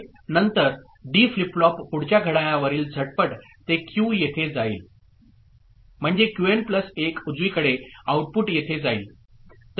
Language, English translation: Marathi, Then the D flip flop next clock instant, it will go here at Q, I mean, at the output of Qn plus 1 right